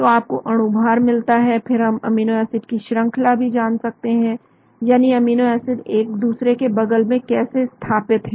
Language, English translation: Hindi, So you get the molecular weight, we can even find out the sequence of amino acids that means how the amino acids are placed next to each other